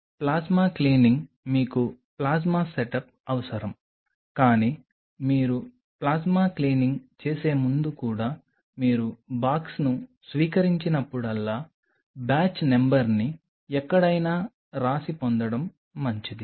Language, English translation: Telugu, So, plasma cleaning you needed a plasma setup, but even before you do plasma cleaning it is always a good idea whenever you receive the box get the batch number written somewhere